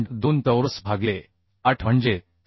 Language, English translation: Marathi, 2 square by 8 that is 672